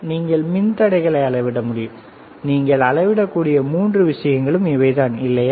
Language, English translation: Tamil, You can measure resistors, all three things you can measure, right